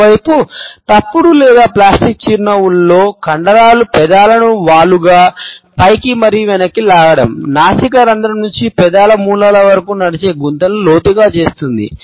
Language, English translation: Telugu, On the other hand, in false or plastic smiles we find that the muscles pull the lips obliquely upwards and back, deepening the furrows which run from the nostril to the corners of the lips